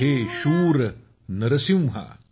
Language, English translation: Marathi, O brave Narasimha